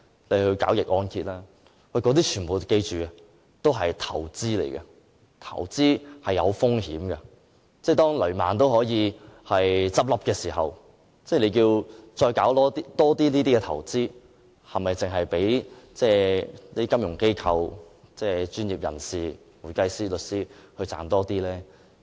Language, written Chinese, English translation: Cantonese, 大家要緊記，這些全部是投資，投資涉及風險，當雷曼也可以倒閉時，政府仍鼓勵市民多作這類投資，是否只讓那些金融機構和會計師、律師這些專業人士賺取更多金錢呢？, However we have to bear in mind that all these are investment products and investment involves risks . When even Lehman Brothers will collapse the Government is still so eager to encourage the public to invest more in these products . Is it only intended to enable financial institutions and such professionals as accountants and lawyers to earn more money?